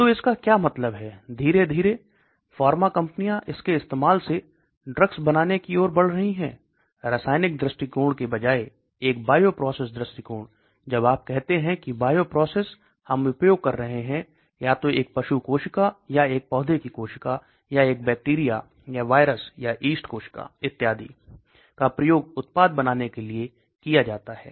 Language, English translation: Hindi, So what it means is slowly the pharma companies are moving towards making drugs using by a bioprocess approach rather than chemical approach, when you say bioprocess we are using either an animal cell or a plant cell or a bacteria or virus or yeast cell and so on to make the product